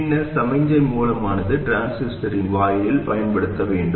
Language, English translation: Tamil, Then the signal source must be applied to the gate of the transistor